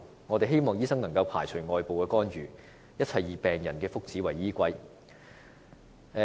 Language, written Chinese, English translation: Cantonese, 我們希望醫生不會受外部干預，一切以病人福祉為依歸。, We hope that medical practitioners can get rid of all outside intervention and concentrate wholly on the well - being of patients